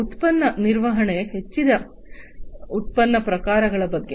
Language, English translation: Kannada, Product management, which is about increased product types